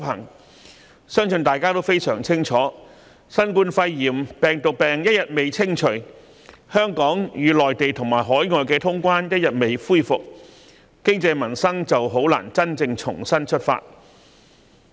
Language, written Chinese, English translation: Cantonese, 我相信大家均非常清楚，新冠肺炎病毒病一日未清除，香港與內地及海外通關的安排一日未能恢復，經濟民生便難以真正重新出發。, I think we all understand very clearly that as long as the epidemic involving the Coronavirus Disease 2019 COVID - 19 is not contained and travel between Hong Kong and the Mainland as well as overseas countries is not resumed there will not be a genuine restart of our economy and peoples normal life . We cannot be fed on illusions